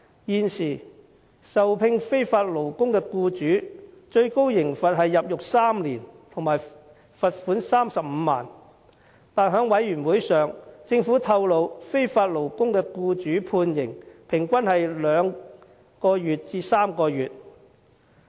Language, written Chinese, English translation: Cantonese, 現時聘用非法勞工的僱主最高刑罰是入獄3年及罰款35萬元，但政府在事務委員會會議上透露，聘用非法勞工的僱主的判刑平均是2至3個月。, At present employers of illegal workers shall be liable to a maximum penalty of three years imprisonment and a fine of 350,000 . However as disclosed by the Government at the Panel meeting the employers of illegal workers are merely sentenced to a prison term of two or three months on average